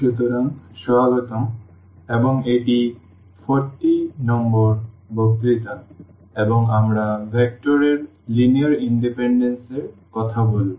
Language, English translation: Bengali, So, welcome back and this is lecture number 40, and we will be talking about the Linear Independence of Vectors